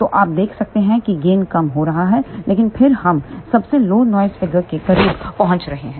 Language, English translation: Hindi, So, you can see that gain is reducing, but then we are getting closer to the lowest noise figure